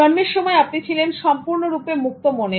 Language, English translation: Bengali, When you are born, you were completely with the open mindset